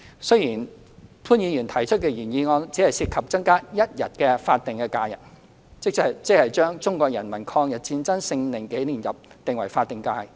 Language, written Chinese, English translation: Cantonese, 雖然潘議員提出的原議案只涉及增加一天法定假日，即將中國人民抗日戰爭勝利紀念日訂為法定假日。, Mr POONs original motion is only related to the increase of one additional statutory holiday that is the designation of the Victory Day of the Chinese Peoples War of Resistance against Japanese Aggression as a statutory holiday